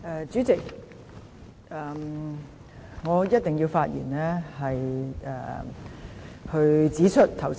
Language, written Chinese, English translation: Cantonese, 主席，我一定要發言指出，剛才有議員......, President I must speak to point out that just now some Members in particular Dr LAU Siu - lai has really spoken a load of nonsense